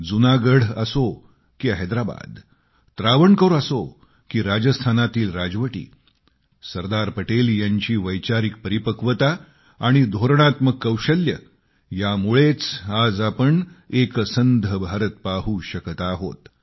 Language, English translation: Marathi, Whether Junagadh, Hyderabad, Travancore, or for that matter the princely states of Rajasthan, if we are able to see a United India now, it was entirely on account of the sagacity & strategic wisdom of Sardar Patel